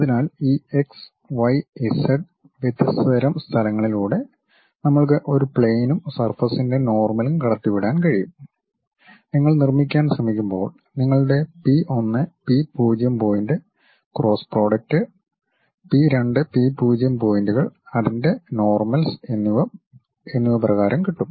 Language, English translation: Malayalam, So, through these x, y, z different kind of locations we can pass a plane and the surface normal when you are trying to construct it will be given in terms of your P 1, P0 points cross product with P 2, P0 points and their norms